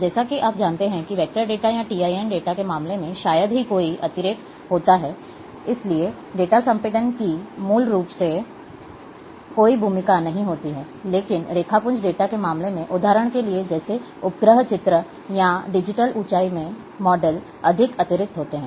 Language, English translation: Hindi, As you know that, in, in case of vector data or in TIN data, there is hardly any redundancy, therefore, data compression has a no role to play basically, but in case of raster data, for example, like satellite images, or in digital elevation model, might be having lot of redundancy